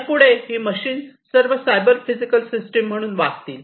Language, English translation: Marathi, So, what is going to happen, these machineries are all going to behave as cyber physical systems